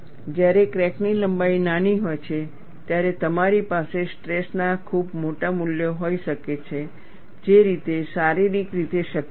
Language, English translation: Gujarati, When crack length is small, you can have very large values of stress, which is not possible, physically